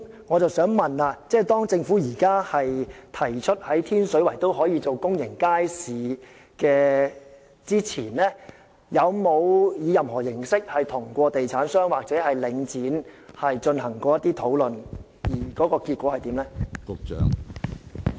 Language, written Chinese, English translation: Cantonese, 我想問政府在提出於天水圍興建公營街市前，有否與地產商或領展進行任何形式的討論，而結果為何？, May I ask the Government whether it has had discussions in any manner with real estate developers or the Link before proposing the construction of a public market in Tin Shui Wai?